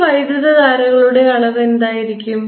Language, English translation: Malayalam, and what is the amount of these currents